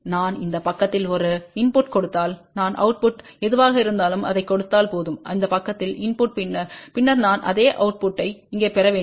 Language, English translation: Tamil, That if I give a input on this side whatever the output I get if I get this same input on this side then I should get the same output here